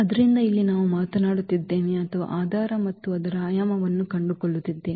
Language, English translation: Kannada, So, here we are talking about or finding the basis and its dimension